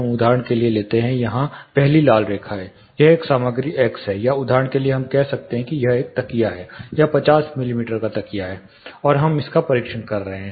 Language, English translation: Hindi, Let us take for example, the first the red line here, this is a material x, or says for example we can say it is a cushion, it is a 50 mm cushion, and we are testing this